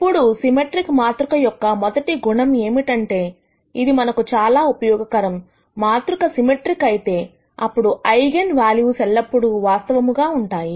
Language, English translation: Telugu, Now, the first property of symmetric matrices that is very useful to us is; if the matrix is symmetric, then the eigenvalues are always real